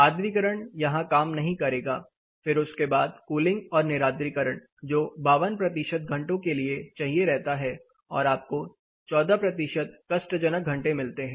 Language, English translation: Hindi, Humidification really does not help here then rest of it you get to cooling and dehumidification is needed for around 52 percentage of the time you have around 14 percent uncomfortable hours